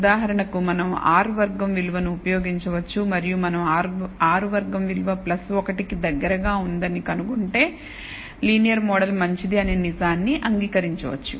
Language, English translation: Telugu, For example, we can use the r squared value, and if we find that the r squared value is close to plus 1, we can maybe accept the fact that the linear model is good